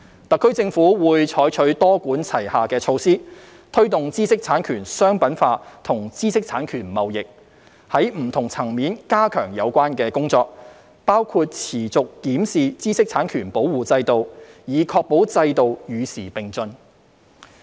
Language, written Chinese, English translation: Cantonese, 特區政府會採取多管齊下的措施，推動知識產權商品化及知識產權貿易，在不同層面加強有關工作，包括持續檢視知識產權保護制度，以確保制度與時並進。, The SAR Government will adopt multi - pronged measures to promote IP commercialization and IP trading . It will step up relevant efforts at different levels including reviewing the IP protection regime regularly to keep abreast with the times